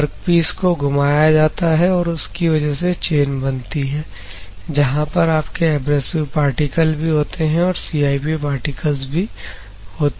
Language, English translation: Hindi, So, workpiece is given rotation and because of this chain formation; where the abrasive particles are there as well as your CIP particles are there